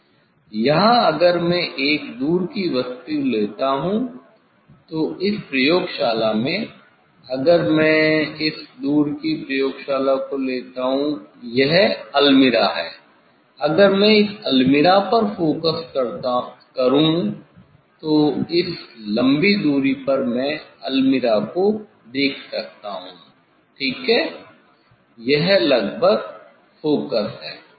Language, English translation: Hindi, here if I take a distance object say, in this lab, if I take this the distance lab that is the almirah if I focus at this almirah, this long distance there I can see the almirah; I can see the almirah ok, it is a almost focused; almost focused